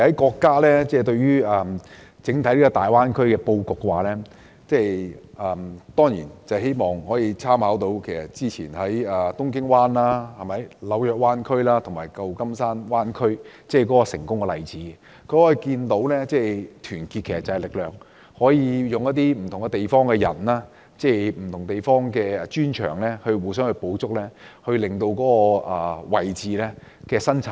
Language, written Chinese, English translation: Cantonese, 國家對於大灣區的布局，其實也參考了以往東京灣、紐約灣區及舊金山灣區的成功例子，可見團結就是力量，可以善用不同地方的不同專長取長補短，增加生產力。, In designing the layout of the Greater Bay Area the State has made reference to the successful examples of Tokyo Bay New York Bay and San Francisco Bay . These examples prove that unity is power . They have made good use of the expertise in different places to complement each other and boost productivity